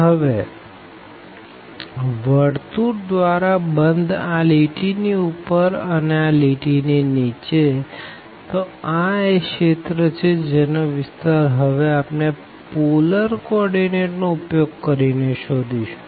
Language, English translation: Gujarati, Now, enclosed by the circle above by this line and below by this line; so, this is the region which we want to now find the area using the polar coordinate